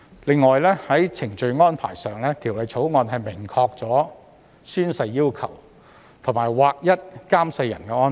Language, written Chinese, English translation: Cantonese, 此外，在程序安排上，《條例草案》明確訂明宣誓要求，並劃一監誓人安排。, In addition on the procedural arrangements the Bill clearly specifies the requirements for oath - taking and standardizes the arrangements for the oath administrators